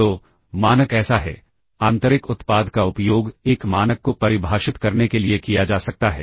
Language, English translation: Hindi, So, the norm is so inner product can be used to define a norm